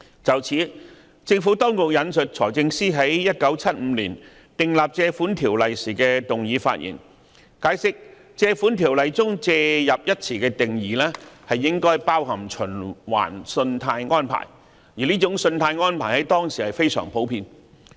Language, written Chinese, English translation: Cantonese, 就此，政府當局引述財政司在1975年訂立《條例》時的動議發言，解釋《條例》中"借入"一詞的定義應包含"循環信貸安排"，而這種信貸安排在當時非常普遍。, In this connection the Administration has quoted the speech of the Financial Secretary moving the enactment of the Ordinance in 1975 to explain that the definition of the word borrow in the Ordinance should include revolving credit facility and it was already a common type of credit facility back then